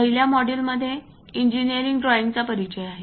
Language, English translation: Marathi, The first module covers introduction to engineering drawings